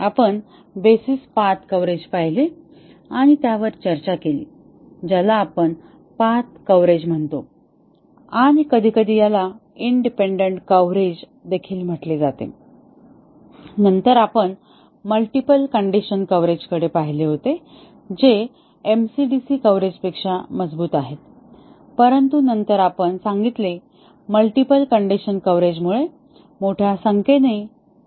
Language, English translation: Marathi, We had looked and discussed the basis path coverage which we simply called as path coverage and sometimes, it is also called independent path coverage in the literature and then, we had looked at multiple condition coverage which is stronger than MCDC coverage, but then we said that multiple condition coverage can result in large number of test cases